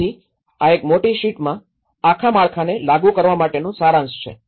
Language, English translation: Gujarati, So, this is a kind of summary of applying the whole framework in one big sheet